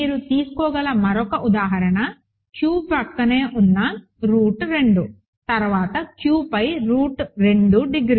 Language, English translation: Telugu, Another example you can take is Q adjoined root 2 over Q then degree of root 2 over Q